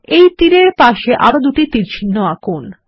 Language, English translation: Bengali, Let us draw two more arrows next to this arrow